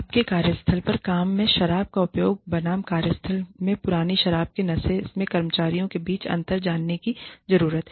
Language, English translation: Hindi, You need to find out the difference between, chronic alcoholism, versus, inebriated employees in the workplace, versus, use of alcohol at work